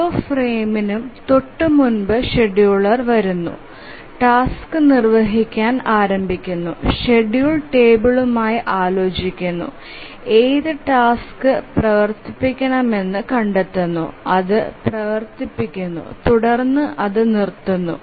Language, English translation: Malayalam, The scheduler comes up just before every frame, starts execution of the task, consults the schedule table, finds out which task to run, it runs and then it stops